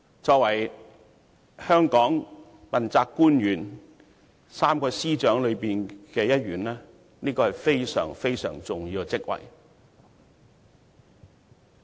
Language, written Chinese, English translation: Cantonese, 作為香港問責官員 ，3 位司長中的一員，律政司司長是非常重要的職位。, As an accountability official and one of the three Secretaries of Departments in Hong Kong the Secretary for Justice is a very important post